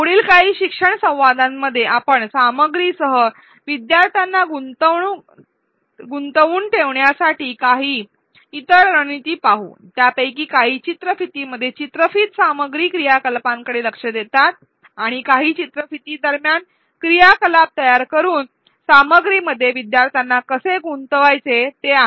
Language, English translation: Marathi, In the next few learning dialogues we will look at a few other strategies for engaging learners with the content; some of them address in video content activities within a video and some are how to engage learners in the content by creating activities in between videos